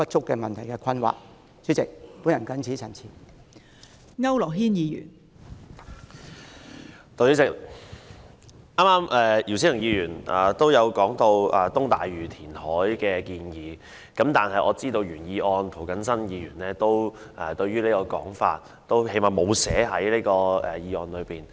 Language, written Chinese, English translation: Cantonese, 代理主席，姚思榮議員剛才提及東大嶼填海的建議，但我知道提出原議案的涂謹申議員沒有把這項建議寫入議案。, Deputy President Mr YIU Si - wing mentioned the reclamation proposal in East Lantau which as I can see is not included in the original motion of Mr James TO